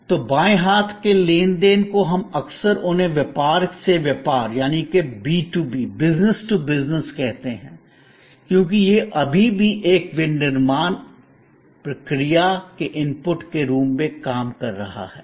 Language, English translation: Hindi, So, on the left hand side the transactions we often call them business to business, because it is still being serving as inputs to a manufacturing process